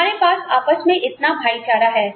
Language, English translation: Hindi, We have, such camaraderie, between ourselves